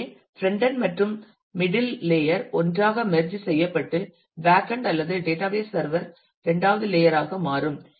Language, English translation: Tamil, So, the frontend and the middle layer are merge together and the backend or the database server becomes a second layer